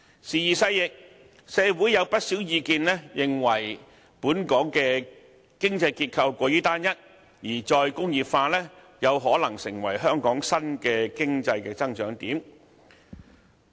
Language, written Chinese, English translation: Cantonese, 時移世易，社會上有不少意見認為，本港的經濟結構過於單一，而"再工業化"有可能成為香港新的經濟增長點。, Now many people think that Hong Kongs economic structure is too homogeneous and re - industrialization may be the new area of economic growth for Hong Kong